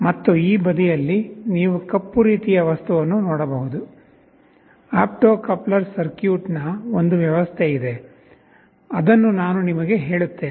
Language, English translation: Kannada, And, on this side you can see a black kind of a thing; there is an arrangement that is an opto coupler circuit, which I shall be telling you about